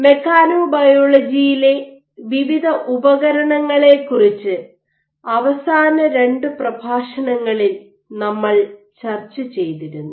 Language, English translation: Malayalam, In last lecture over the last 2 lectures we are discussing about various tools in Mechanobiology